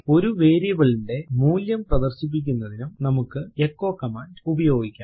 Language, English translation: Malayalam, We can also use the echo command to display the value of a variable